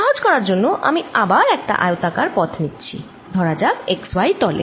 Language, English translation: Bengali, for simplicity again, i am going to take a rectangular path, let us say in the x y plane